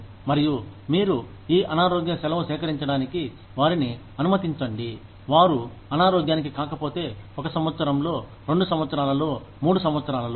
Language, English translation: Telugu, And, you let them collect this sick leave, if they do not fall sick, in one year, two years, three years